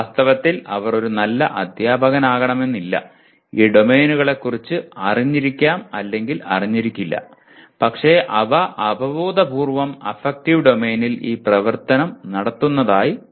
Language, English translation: Malayalam, They may not be a good teacher, may or may not be aware of these domains and so on but intuitively they seem to be performing this activity in the affective domain